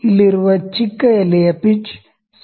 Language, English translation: Kannada, The smallest leaf here has the pitch 0